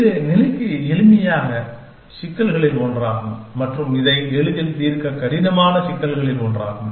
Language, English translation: Tamil, And it is one of the simplest problems to state and one of the hardest problems to solve this easily